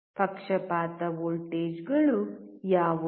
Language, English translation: Kannada, What are the bias voltages